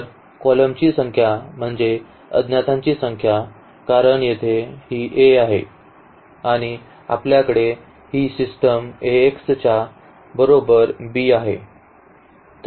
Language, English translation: Marathi, So, the number of columns means the number of unknowns because here this is A and we have our system this Ax is equal to is equal to b